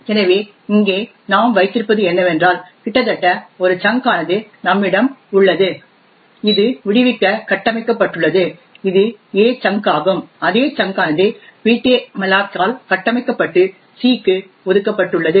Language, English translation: Tamil, So, therefore what we have here is that virtually we have one chunk which is configured to be freed that is the a chunk and the same chunk is also configured by ptmalloc and allocated to c